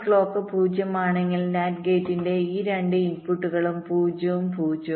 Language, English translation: Malayalam, but if clock is zero, lets say, then both this inputs of the nand gate are zero and zero